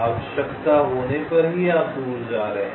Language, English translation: Hindi, you are moving away only when required